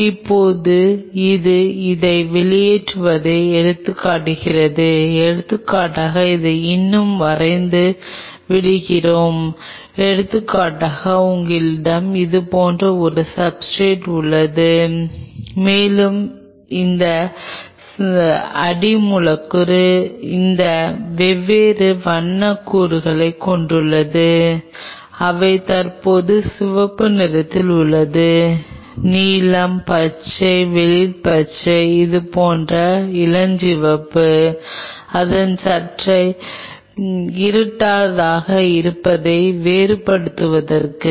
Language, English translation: Tamil, Now, what this does this ejects out it say for example, let us let me draw it the remain more sense say for example, you have a substrate like this and this substrate has these different colour of elements which are present red say, blue, green, light green, pink like this, just to distinguish a kind of making its slightly darker